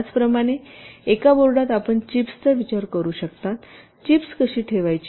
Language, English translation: Marathi, similarly, within a board you can think of the chips, how to place the chips